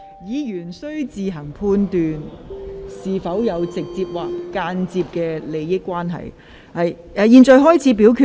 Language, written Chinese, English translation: Cantonese, 議員須自行判斷是否有直接或間接金錢利益。現在開始表決。, It is for Members to judge whether they have direct or indirect pecuniary interests . Will Members please proceed to vote